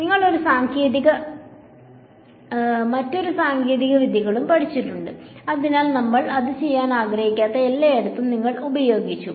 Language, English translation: Malayalam, So, you learn one technique and you have not studied other techniques, so, you applied everywhere we do not want to do that